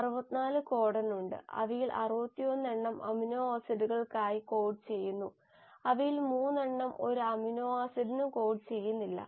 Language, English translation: Malayalam, And there are 64 codons in our system out of which, 61 of them code for amino acids, while 3 of them do not code for any amino acid